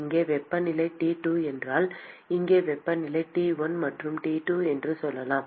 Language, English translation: Tamil, If the temperature here is T 2, and let us say temperature here is say T 1 and T 2